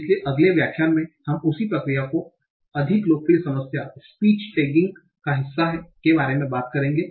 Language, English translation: Hindi, So in the next lecture we will talk about in the same process a more popular problem about part of speech tagging